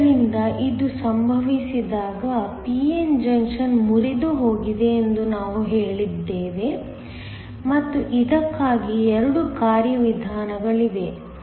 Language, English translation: Kannada, So, when this happens we said that the p n junction has broken down and there are 2 mechanisms for this